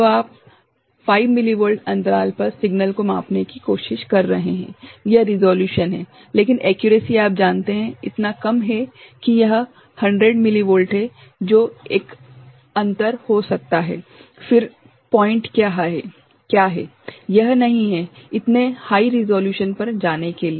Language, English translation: Hindi, So, you are trying to measure signal at 5 millivolt interval, that is the resolution, but the accuracy is you know, so low that it is 100 millivolt that could be a difference, then what is the point, is not it, to go for such a high resolution